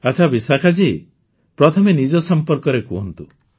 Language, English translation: Odia, WellVishakha ji, first tell us about yourself